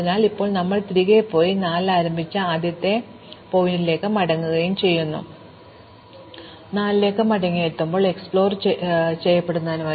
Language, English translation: Malayalam, So, now we go back and go back to the first vertex we started with 4, and see if there is something more to be done